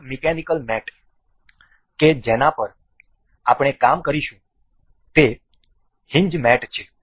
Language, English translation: Gujarati, Another mechanical mate we will work on is hinge mate